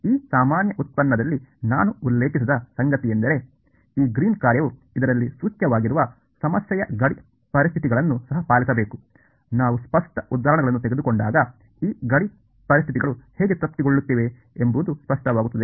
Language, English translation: Kannada, What I have not mentioned in this very general derivation is that this Greens function should also obey the boundary conditions of the problem that is implicit in this; when we take the explicit examples it will become clear, how these boundary conditions are being satisfied